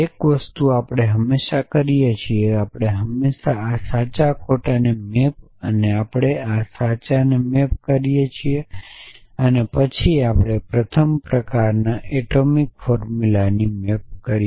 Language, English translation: Gujarati, So, one thing we always do that we always map this true false and we always map this true and then we map atomic formulas of the first kind